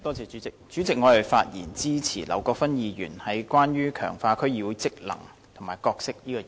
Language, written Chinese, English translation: Cantonese, 主席，我發言支持劉國勳議員有關強化區議會職能和角色的議案。, President I rise to speak in support of Mr LAU Kwok - fans motion on strengthening the functions and role of District Councils DCs